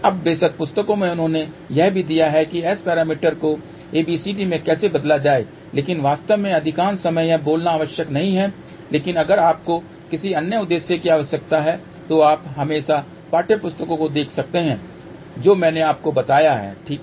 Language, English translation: Hindi, Now, of course, in the books they have also given how to convert from S parameter to ABCD but actually speaking most of the time that is not required but if at all you require for some other purpose you can always see the textbooks which I have mentioned to you, ok